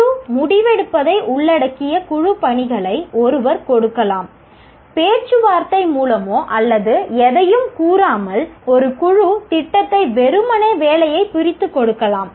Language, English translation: Tamil, One can give group assignments that involve group decision making, division of work through negotiation, that is one, or just simply give a group project without stating anything